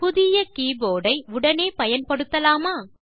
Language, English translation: Tamil, Can you use the newly keyboard immediately